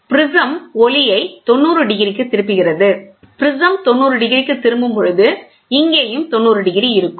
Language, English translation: Tamil, The prism turns the light by 90 degrees, prism turns by 90 degrees so, here 90 degrees